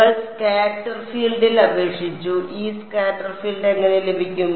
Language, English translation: Malayalam, We applied on the scatter field and how do we get this scatter field